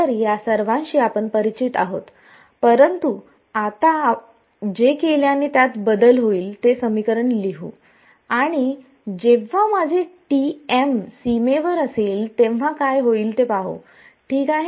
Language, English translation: Marathi, So, we are familiar with all of that, but now let us look at that equation which will get altered by what we have done and that will happen when my T m is on the boundary ok